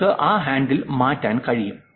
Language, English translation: Malayalam, You can change that handle